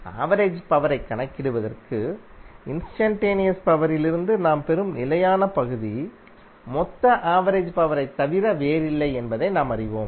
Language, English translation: Tamil, For calculation of average power we came to know that the constant term which we get from the instantaneous power is nothing but the total average power